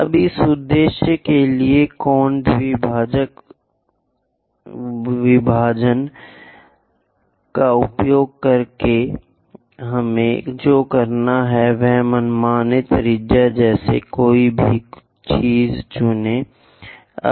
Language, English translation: Hindi, Now, use angle bisector division for that purpose what we have to do is pick anything like arbitrary radius